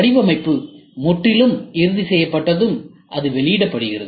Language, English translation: Tamil, When the design is completely finalized it is released